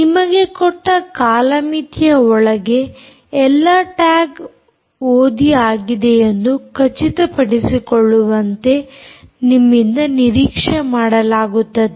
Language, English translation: Kannada, you are expected to ensure that all tags are read and within the given time frame that is given to you